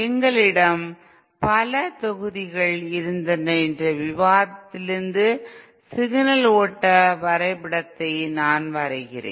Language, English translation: Tamil, Signal flow diagram I am drawing from the discussion that we had many modules ago